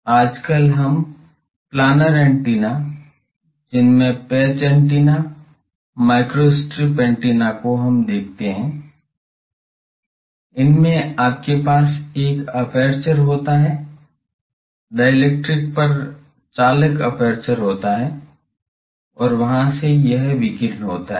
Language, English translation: Hindi, Now a days the planar antennas one of that is called patch antenna, microstrip antenna, so you have a aperture, conducting aperture from their put on dielectrics and from there it is radiating